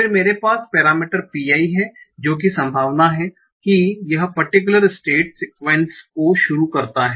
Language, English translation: Hindi, Then I have the parameter pi, that is what is the probability that this particular state stars the sequence